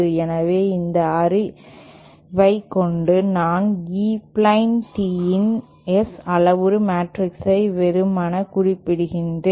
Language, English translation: Tamil, So, with this knowledge, we can, I am just simply stating the S parameter matrix of the E plane tee